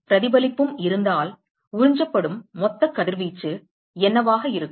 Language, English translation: Tamil, So, what will be the total radiation that is absorbed, if reflection is also present